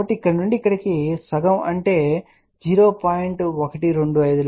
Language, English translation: Telugu, So, from here to here half will be something like 0